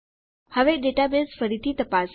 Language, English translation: Gujarati, Now, lets check our database again